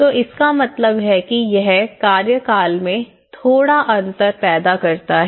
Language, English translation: Hindi, So, it means it created little differences between the having the tenure